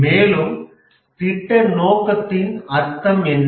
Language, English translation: Tamil, And what do we mean by project scope